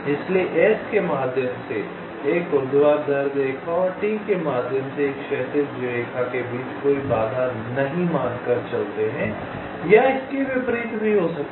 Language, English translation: Hindi, so, assuming no obstacles, a vertical line through s and a horizontal line through t will intersect, and vice versa